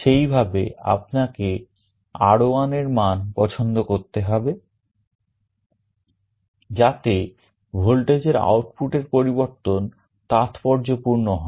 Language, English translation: Bengali, Accordingly you will have to choose the value of R1, so that the change in the voltage output can be significant